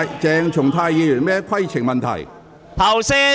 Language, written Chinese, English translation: Cantonese, 鄭松泰議員，你有甚麼規程問題？, Mr CHENG Chung - tai what is your point of order?